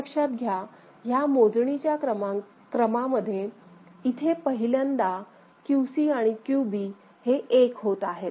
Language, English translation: Marathi, So, this is the first time in this counting sequence as you see that QC and QB both of them are becoming 1 ok